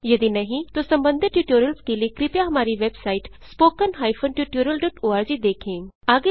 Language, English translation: Hindi, If not, for relevant tutorials, please visit our website, http://spoken tutorial.org